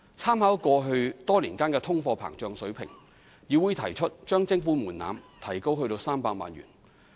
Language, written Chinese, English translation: Cantonese, 參考過去多年的通貨膨脹水平，議會提出將徵款門檻提高至300萬元。, Taking into account inflation over the past years CIC recommended the Government to raise the levy threshold to 3 million